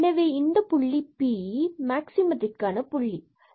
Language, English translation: Tamil, Then P this point p a b will be a point of maximum, when it will be a point of maximum